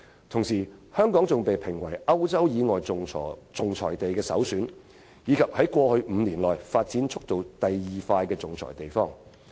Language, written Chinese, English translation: Cantonese, 同時，香港被評為歐洲以外的首選仲裁地，並且是過去5年發展第二快的仲裁地方。, At the same time Hong Kong was also rated as the first choice for arbitration outside Europe and the second - fastest growing arbitration venue in the previous five years